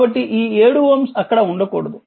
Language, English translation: Telugu, So, this 7 ohm should not be there